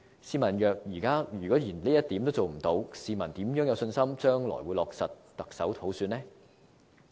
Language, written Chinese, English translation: Cantonese, 試問若現在連這一點也做不到，市民如何有信心將來會落實行政長官普選呢？, If such wishes cannot be fulfilled now how will the public have confidence that the election of the Chief Executive by universal suffrage will be implemented in the future?